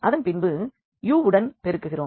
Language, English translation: Tamil, So, this if you multiply u to this 1